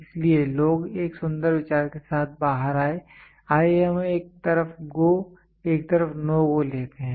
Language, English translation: Hindi, So, what people have come out with a beautiful idea is let us have one side GO one side no GO